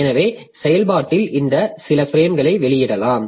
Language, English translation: Tamil, So, we can release some of the frames from the process